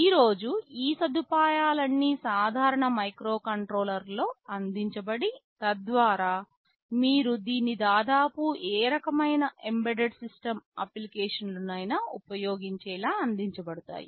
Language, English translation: Telugu, All these facilities are provided in typical microcontrollers today, so that you can use it for almost any kind of embedded system applications